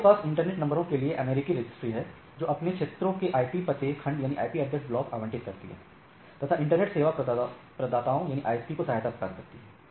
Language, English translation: Hindi, We have the American registry for internet numbers, allocates address blocks to their regions, allocated internet service providers